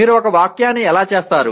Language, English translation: Telugu, How do you make a sentence